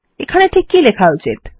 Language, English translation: Bengali, What should we write here